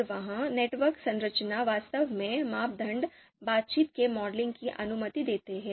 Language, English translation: Hindi, And that network structure actually allows the modeling of criteria interaction